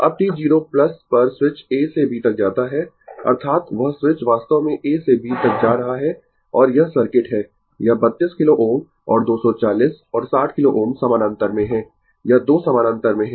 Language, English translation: Hindi, Now, at t 0 plus switch moves from A to B, that is your the switch actually moving from A to B and this is the circuit this 32 kilo ohm and 240 and 60 kilo ohm are in parallel right this 2 are in parallel